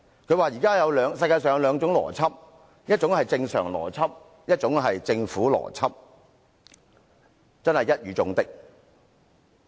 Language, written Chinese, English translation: Cantonese, 他說現時世上有兩種邏輯，一種是正常邏輯，另一種是政府邏輯，真是一語中的。, He talked about the Governments logic . He hit the nail on the head when he said there were two kinds of logic in the world one being the normal logic and the other the Governments logic